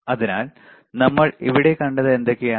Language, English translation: Malayalam, So, what we have seen here